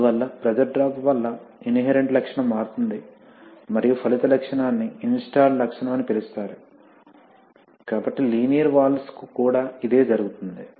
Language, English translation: Telugu, So therefore we must understand that the inherent characteristic gets changed because of pressure drops and the resulting characteristic is called the installed characteristic, so the same thing happens for linear valves